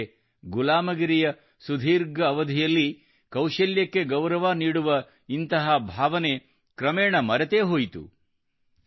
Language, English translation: Kannada, But during the long period of slavery and subjugation, the feeling that gave such respect to skill gradually faded into oblivion